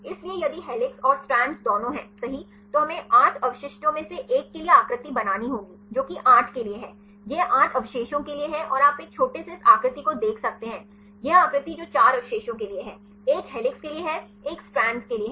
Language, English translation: Hindi, So, if with contains both helix and strands right, we have to made the figure one for 8 residues which one is for 8, this for 8 residues and you can see the small one right this figure, this figure that is for the 4 residues; one is for the helix one is for the strand